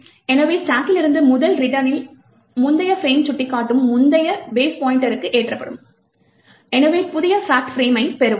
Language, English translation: Tamil, So, on the first return from the stack the previous base pointer which is pointing to the previous frame gets loaded into the base pointer and therefore we would get the new fact frame